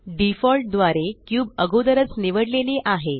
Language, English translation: Marathi, By default, the cube is already selected